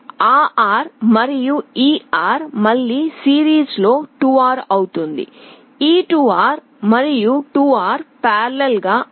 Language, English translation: Telugu, That R and this R again in series will become 2R, this 2R and 2R in parallel will become R